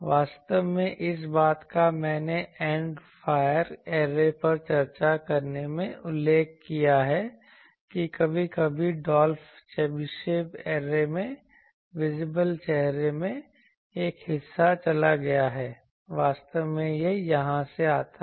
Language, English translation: Hindi, Actually this thing I mentioned in discussing end fire array that sometimes in Dolph Chebyshev arrays, the a portion in the invisible face is gone actually that comes from here